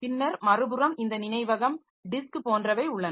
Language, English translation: Tamil, And then other side we have got this memory